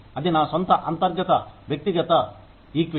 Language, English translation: Telugu, That is my own internal, individual equity